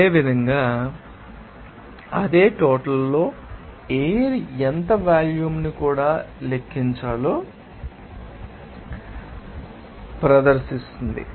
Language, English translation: Telugu, Similarly, the same amount of you know the air will exhibit how much volume that also to be calculated